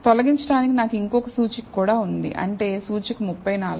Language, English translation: Telugu, So, I also have one more index to remove, which is index 34